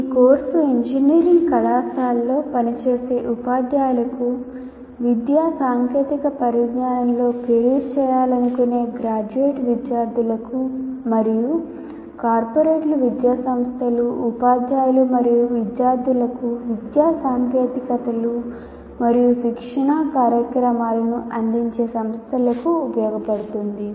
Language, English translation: Telugu, And this course, as we mentioned earlier, will be useful to working teachers in engineering colleges, aspiring teachers, graduate students who wish to make careers in education technology, and also companies offering education technologies and training programs to corporates, educational institutes, teachers and students